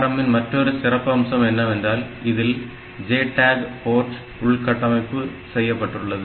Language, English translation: Tamil, Another very interesting feature that this ARM processor has, is the built in JTAG port